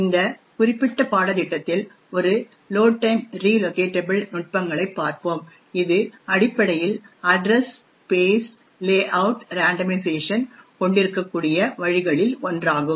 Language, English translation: Tamil, In this particular course we will look at a Load Time Relocatable techniques which is essentially one of the ways we could actually have Address Space Layout randomization